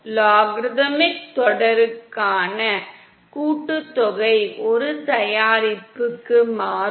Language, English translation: Tamil, The summation for the logarithmic series will convert to a product